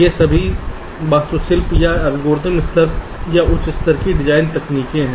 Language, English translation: Hindi, ok, these are all architectural, or algorithmic level, you can say, or higher level design techniques